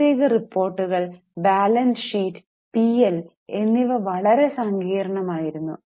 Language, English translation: Malayalam, The financial reports, their balance sheet and P&L were extremely complicated